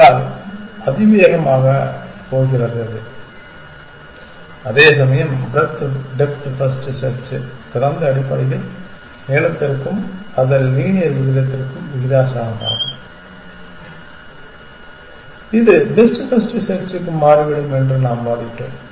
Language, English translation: Tamil, whereas the for breadth depth first search the open is basically kind of proportional to length and its linear that we have argued it turns out that for best first search